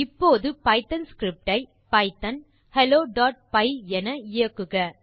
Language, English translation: Tamil, Let us create a simple python script to print hello world